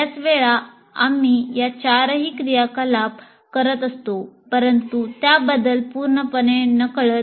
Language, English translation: Marathi, All these four activities, most of the times we will be doing that but without being fully aware of it